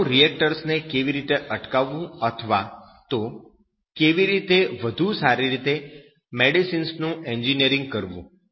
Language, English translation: Gujarati, How to prevent nuclear reactors or even you can say that how to engineer better medicine